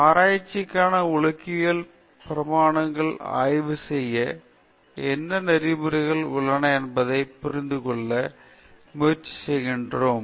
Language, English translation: Tamil, Then we try to understand what ethics has to do with research, the ethical dimensions of research